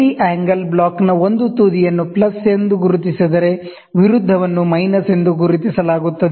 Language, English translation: Kannada, One end of each angle block is marked plus, while the opposite is marked minus